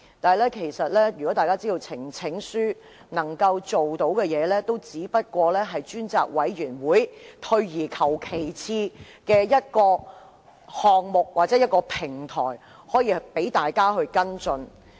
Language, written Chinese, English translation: Cantonese, 但大家知道，呈請書能夠做到的，只是成立專責委員會，是退而求其次的一個項目或平台，讓大家跟進事件。, Yet we all know that what a petition can do is merely the formation of a select committee . It is a second best means or platform for us to follow up an issue